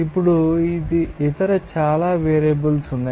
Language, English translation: Telugu, Now, there are other so many variables will be there